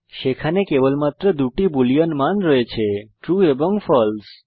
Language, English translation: Bengali, There are only two boolean values: true and false